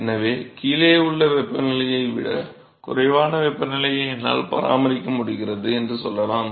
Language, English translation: Tamil, So, let us say I am able to maintain the temperature above which is lower than that of the temperature below and